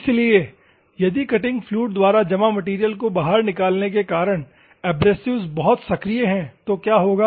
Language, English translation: Hindi, So, if the abrasives are very active because of the clogged material taking out by the cutting fluid, what will happen